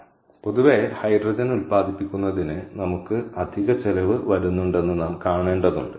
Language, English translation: Malayalam, so generally we have to see that we have we incurring additional cost to generate hydrogen